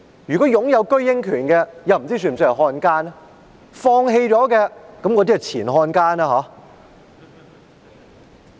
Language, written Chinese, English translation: Cantonese, 如果他擁有居英權，不知他是否算是漢奸？, If he has the right of abode in Britain I wonder if he is considered a traitor or not